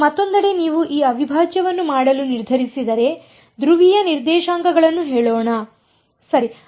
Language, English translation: Kannada, Now on the other hand if you decided to do this integral using let us say polar coordinates right